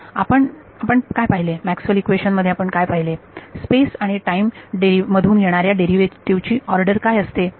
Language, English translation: Marathi, What is the, in the Maxwell’s equations that you have seen, what is the order of derivatives that are coming in space and time